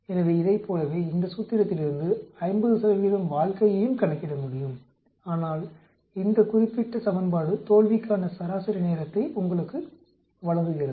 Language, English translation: Tamil, So similar to that we can calculate also 50 percent life from this formula but this particular equation gives you the mean time to failure